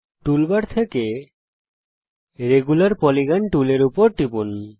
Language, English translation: Bengali, Select Regular Polygon tool from the toolbar